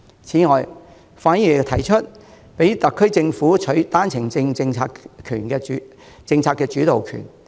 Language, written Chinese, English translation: Cantonese, 此外，范議員又提出讓特區政府取回單程證政策的主導權。, Mr FAN has further suggested allowing the Special Administrative Region Government to take back the initiation power in the OWP policy